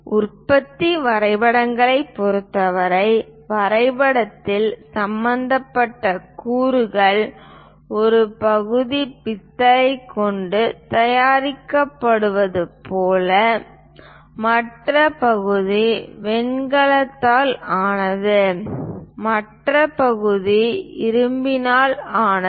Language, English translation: Tamil, For production drawings, the components involved in the drawing for example, like one part is made with brass, other part is made with bronze, other part is made with iron